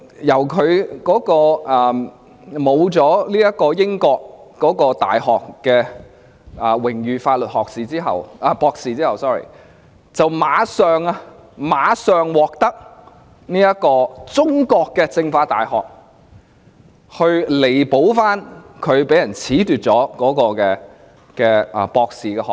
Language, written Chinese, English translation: Cantonese, 當他失去了英國大學的榮譽法律博士學位後，立即便獲得中國政法大學為他彌補被人褫奪了的博士學位。, Soon after he was stripped of his honorary law doctorate by a British university he received a doctorate degree from the China University of Political Science and Law to make up for his loss